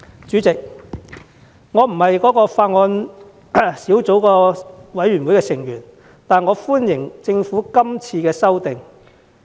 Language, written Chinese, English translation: Cantonese, 主席，我並非法案委員會的委員，但我歡迎政府今次的修訂。, Chairman although I am not a member of the Bills Committee I welcome the Governments amendments